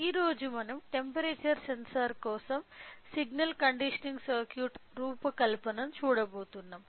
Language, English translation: Telugu, Today we are going to see the design of a signal conditioning circuit for the temperature sensor